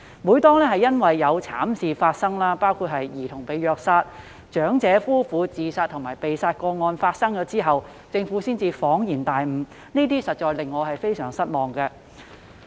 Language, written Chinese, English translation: Cantonese, 每當慘劇發生後，包括有兒童被虐殺、有長者夫婦自殺和被殺，政府才恍然大悟，實在令我感到非常失望。, The Government can realize the problem only after tragedies have taken place including cases involving childrens death after being treated cruelly and suicide and homicide cases involving elderly couples very much to my disappointment honestly